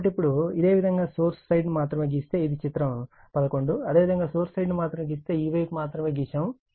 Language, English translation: Telugu, So, now this one you just if you draw only the source side, this is figure 11 if you draw only the source side, this side only right